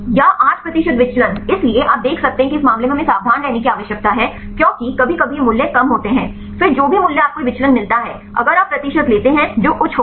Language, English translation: Hindi, Or 8 percent deviation; so, you can see for that is in this case we need to be careful because sometimes these values are less; then whatever value you get this deviation then if you take the percent that will be high